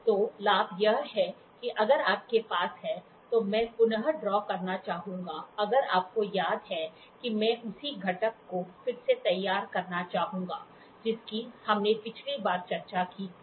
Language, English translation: Hindi, So, the advantage is if you have I would like to redraw if you remember I would like to redraw the same component which we discussed last time